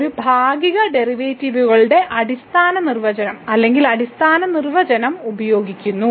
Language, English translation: Malayalam, So, this was using the basic definition of or the fundamental definition of partial derivatives